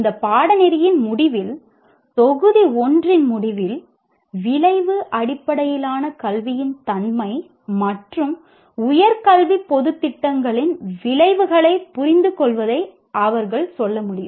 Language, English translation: Tamil, At the end of this course they should be able to, let's say at the end of module 1, understand the nature of outcome based education and outcomes of a higher education general programs